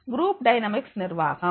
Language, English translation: Tamil, Managing group dynamics